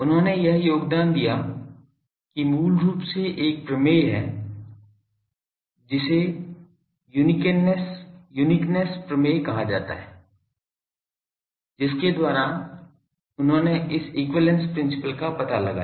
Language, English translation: Hindi, He made this contribution basically there is a theorem called uniqueness theorem by which he found out this equivalence principle